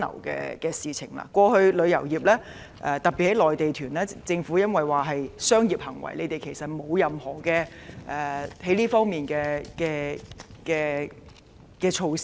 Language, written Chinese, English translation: Cantonese, 過去政府認為旅遊業，特別是營辦內地團屬於商業行為，在這方面沒有制訂任何措施。, In the past the Government regarded the operation of the travel industry particularly the operation of Mainland tour groups to be commercial in nature and has therefore not formulated any measures in this regard